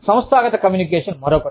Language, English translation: Telugu, Organizational communication is another one